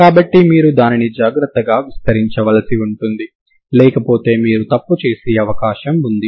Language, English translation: Telugu, So you have to carefully have to expand it otherwise you may go wrong